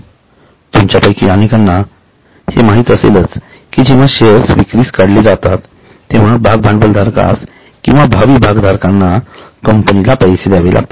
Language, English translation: Marathi, Many of you would be aware that whenever the shares are issued, first of all, the shareholder or a prospective shareholder has to pay to the company